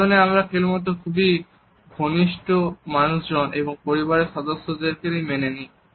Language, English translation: Bengali, This is also a zone in which we allow only very close people and family members